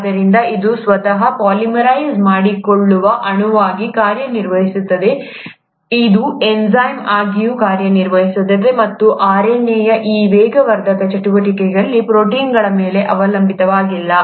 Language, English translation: Kannada, So, it not only acts as a molecule which can polymerize itself, it also can act as an enzyme, and this catalytic activity of RNA is not dependent on proteins